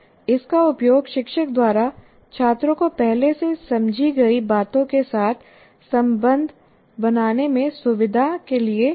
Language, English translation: Hindi, It can be used by a teacher, by the teacher to facilitate the students to make links with what students already understood